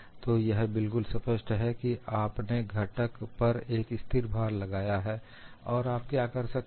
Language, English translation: Hindi, So, it is very clear that you are having a constant load applied to the component, and what you could do